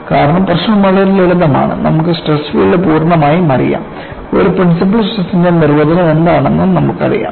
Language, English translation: Malayalam, Because the problem is so simple, completely the stress field you also know what is the definition of a principle stress